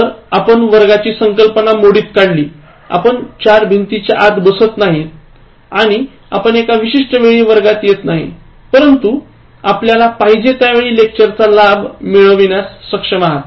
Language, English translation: Marathi, So, we are able to remove all the class boundaries, we are not sitting within the four walls and then you are not coming to the classroom at a particular time, but you are able to get the benefit of a lecture anytime that you want